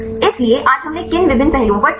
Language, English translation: Hindi, So, what are the various aspects we discussed today